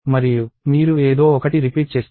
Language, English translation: Telugu, And you repeat something